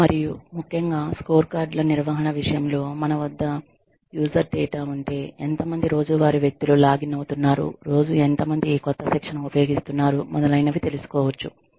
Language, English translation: Telugu, And, especially, in the case of maintenance of scorecards, when we have user data, how many people are logging in, on a daily basis, how many people are using, this new training, on a daily basis, etcetera